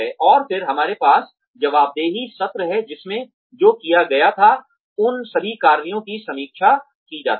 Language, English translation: Hindi, And then, we have the accountability sessions, in which a review is conducted of all the work, that had been done